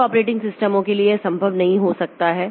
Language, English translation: Hindi, From some operating systems it may not be possible